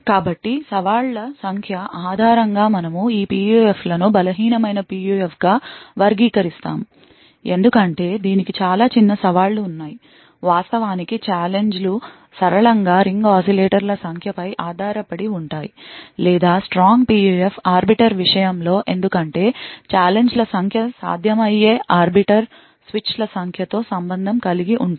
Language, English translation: Telugu, So based on the number of challenges we categorize these PUFs as a weak PUF because it has a very small set of challenges, in fact the challenges linearly dependent on the number of ring oscillators or the strong PUF in case of arbiter because the number of challenges that are possible are exponentially related to the number of arbiter switches that are present